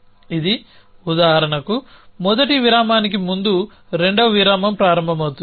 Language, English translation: Telugu, So, this is for example, saying that a second interval begins before the first interval